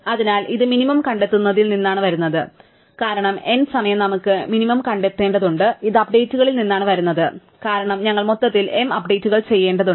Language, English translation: Malayalam, So, this comes from finding the minimum because n time we have to find the minimum and this comes from the updates, because we have to do m updates overall